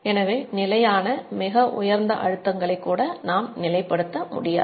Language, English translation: Tamil, So even steady very high pressures cannot be sustained